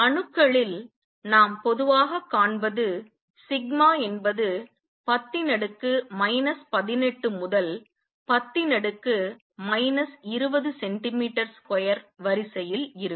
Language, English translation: Tamil, What we find usually in atoms sigma is of the order of 10 raise to minus 18 to 10 raise to minus 20 centimeter square